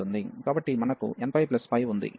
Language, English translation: Telugu, So, we have n pi plus pi